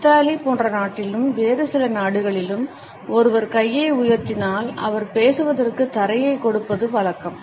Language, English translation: Tamil, In a country like Italy as well as in certain other countries if a person raises the hand, it is customary to give the floor to that person so that he can speak